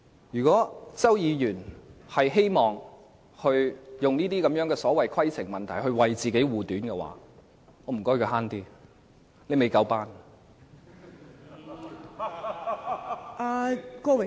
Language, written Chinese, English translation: Cantonese, 如果周議員希望以這種所謂規程問題來為自己護短，我請他"慳啲"，他"未夠班"。, If Mr CHOW wants to conceal his mistake by raising the so - called a point of order I ask him to cut the crap . He is simply not up to par